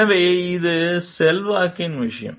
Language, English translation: Tamil, So, and it is a matter of influence